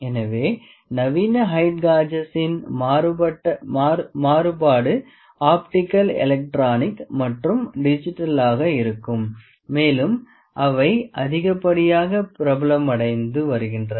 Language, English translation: Tamil, So, modern variance of height gauges are may be optical, electronic, digital and are becoming they are becoming increasing popular